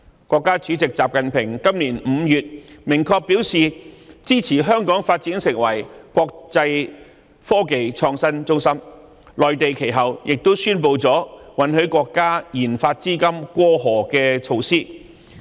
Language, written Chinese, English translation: Cantonese, 國家主席習近平今年5月明確表示，支持香港發展成為國際科技創新中心，其後內地亦宣布允許國家科研資金"過河"的措施。, In May this year President XI Jinping explicitly rendered his support to Hong Kong developing into an international innovation and technology hub . This was followed by an announcement made in the Mainland on measures allowing cross - boundary remittance of national science and technology funding